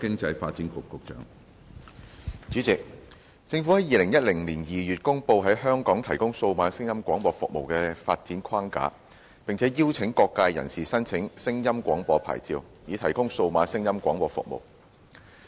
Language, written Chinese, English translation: Cantonese, 主席，政府在2010年2月公布在香港提供數碼聲音廣播服務的發展框架，並邀請各界人士申請聲音廣播牌照，以提供數碼聲音廣播服務。, President in February 2010 the Government promulgated the development framework for the provision of digital audio broadcasting DAB services in Hong Kong and invited applications for sound broadcasting licences to provide DAB services